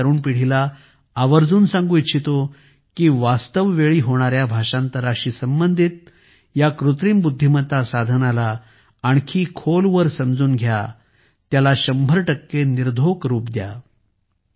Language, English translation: Marathi, I would urge today's young generation to further explore AI tools related to Real Time Translation and make them 100% fool proof